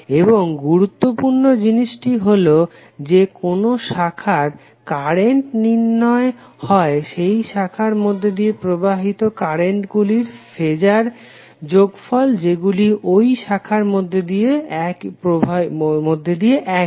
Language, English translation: Bengali, And the important thing is that branch currents are determined by taking the phasor sum of mesh currents common to that branch